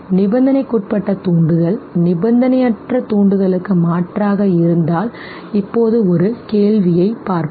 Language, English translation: Tamil, Now let us look at one question, if the conditioned stimulus substitutes the unconditioned stimulus okay